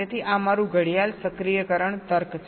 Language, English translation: Gujarati, so this is my clock activation logic